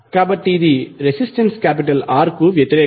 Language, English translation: Telugu, So it is just opposite to the resistance R